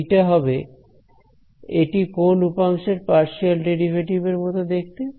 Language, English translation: Bengali, This is the, it is a partial it looks like a partial derivative of which component